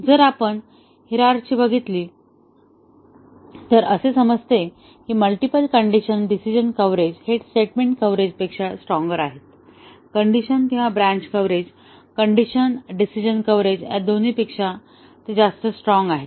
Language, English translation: Marathi, If we look at the hierarchy, the multiple condition decision coverage is stronger than both statement coverage, the decision or branch coverage, the condition decision coverage